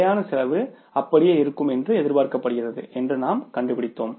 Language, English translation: Tamil, Then we found out that say the fixed cost was expected to remain the same